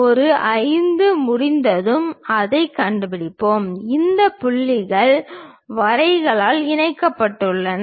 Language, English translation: Tamil, Then A 5 we will locate it once we are done we have these points joined by lines